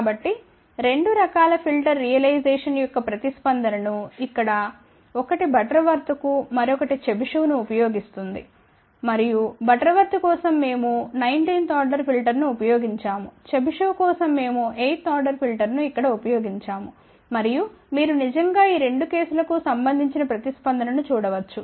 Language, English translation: Telugu, So, here is the response of the two types of filter realization one using Butterworth another one using Chebyshev and for Butterworth we have use a nineteenth order filter, for Chebyshev we have use eighth order of filter over here and you can actually see that the response for these two cases let us look at the response of the two filters for S 21 first, ok